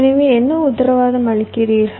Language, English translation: Tamil, so what do you guarantee here